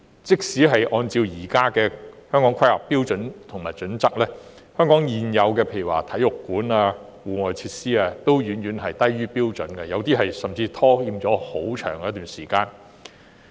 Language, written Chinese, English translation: Cantonese, 即使根據《香港規劃標準與準則》的現行標準，香港現有的體育館及戶外設施等多項設施亦遠低於標準，部分設施更是遲遲未能建成。, Even if the current standards in the Hong Kong Planning Standards and Guidelines are taken as benchmarks our existing facilities such as sports centres and outdoor facilities are still way fewer than required . Some facilities also experience undue delay in construction